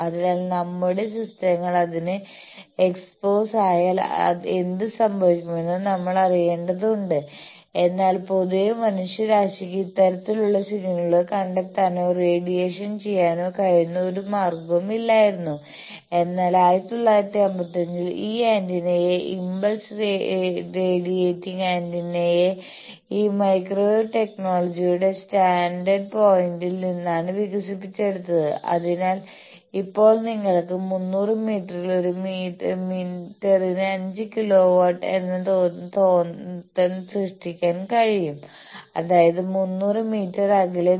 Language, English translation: Malayalam, So, we need to know that what happens if our systems get exposed to that, but generally mankind did not have any means by which we can either detect or we can radiate this type of signals, but in 1995, this antenna called impulse radiating antenna was developed purely from this microwave technology stand point, so that now you can create a field of 5 kilo volt per meter at 300 meters that means, quite 300 meters away